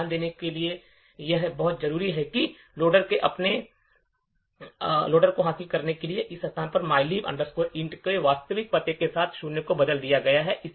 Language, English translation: Hindi, So, notice that the loader has achieved on his job, it has replaced zero in this location with the actual address of mylib int